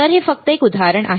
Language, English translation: Marathi, So, this is a just an example